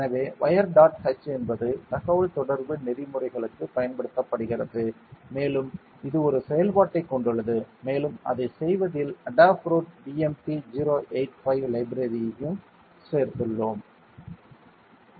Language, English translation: Tamil, So, wire dot h is popularly used for communication protocols and it has a function inside it and we also added the Adafruit BMP085 library in doing it